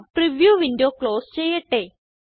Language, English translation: Malayalam, Lets close the preview window